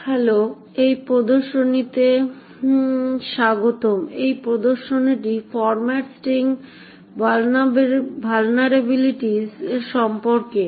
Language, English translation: Bengali, Hello and welcome to this demonstration, this demonstration is also about format string vulnerabilities